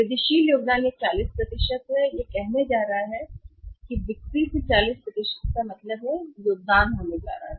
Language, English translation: Hindi, Incremental contribution is going to be say it is 40 % it means the 40% off the sales is going to be contributions